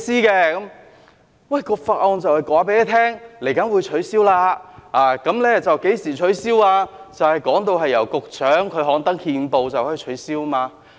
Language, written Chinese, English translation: Cantonese, 這項法案就是有關稍後會取消收費及何時取消，由局長刊登憲報，便可以取消。, This Bill is about waiving the tolls in due course and when they will be waived . They can be waived upon gazettal by the Secretary